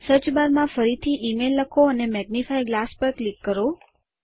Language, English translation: Gujarati, Now lets type email again in the Search bar and click the magnifying glass